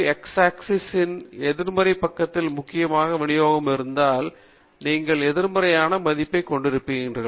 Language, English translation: Tamil, It can even be a negative value, because if the distribution is predominantly on the negative side of the x axis, then you will have a negative mean